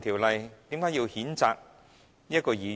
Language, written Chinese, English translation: Cantonese, 為何要譴責這位議員？, Why does he have to censure this Member?